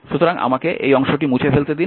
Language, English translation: Bengali, So, let me let me clean this one